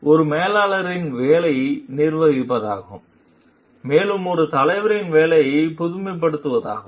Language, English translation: Tamil, So, a managers job is to administer, a leaders job is to innovate